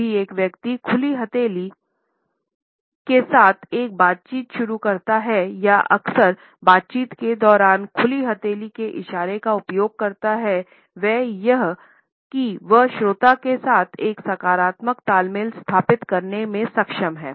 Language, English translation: Hindi, When a person initiates a dialogue with open palm or uses the open palm gesture during the conversations frequently, he or she is able to establish a positive rapport with the listener